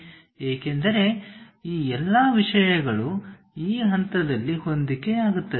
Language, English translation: Kannada, Because all these things are coinciding at this point